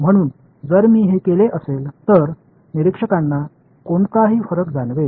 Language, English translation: Marathi, So, if I did this trick will observer to know any difference